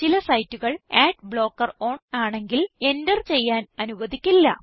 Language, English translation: Malayalam, * Some sites do not allow you to enter them when ad blocker is on